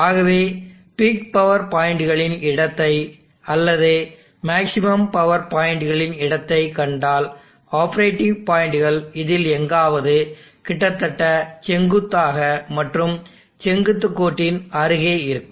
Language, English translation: Tamil, So if you see the locus of the peak power points or the locus of the maximum power points, the operating points will be along somewhere in this, almost vertical near vertical line